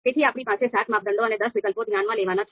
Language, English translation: Gujarati, So we have seven criteria to consider and ten alternatives